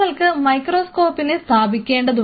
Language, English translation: Malayalam, You have to place microscope